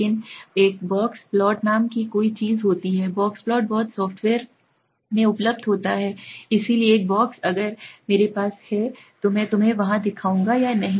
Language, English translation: Hindi, But there is something called a box plot, box plot is available in much software right, so a box plot if I have I will show you it there or not